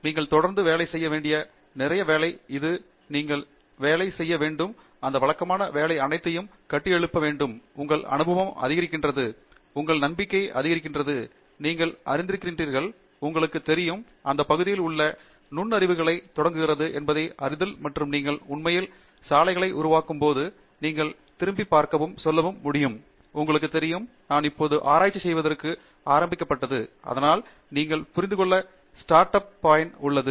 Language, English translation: Tamil, It is a lot of routine work that goes on, that you have to keep working on, and building on all of that routine work, you know, your experience goes up; your experience goes up, your confidence goes up, your ability to, you know, identify insights into that area starts going up and that is when you actually start making those in roads, which you can look back and say, you know, I was now beginning to do research; so that is the point that you need to understand